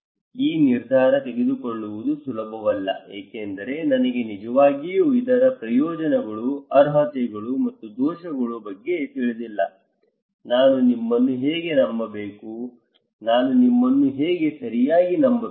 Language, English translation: Kannada, It is not easy to make a decision why; because I would really do not know the advantage, merits and demerits, how should I believe you, how should I trust you right